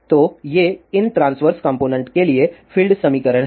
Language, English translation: Hindi, So, these are the field equations for these transverse components